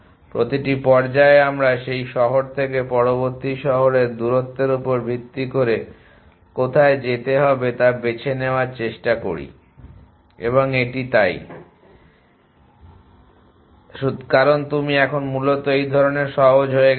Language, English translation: Bengali, At every stage we try to choose where to go from that city based on the distance to the next city and that is easy to do with this I, because you are now easing in this fashion essentially